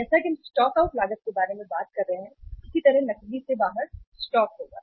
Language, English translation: Hindi, As we are talking about the stock out cost that same way there will be the stock out of the cash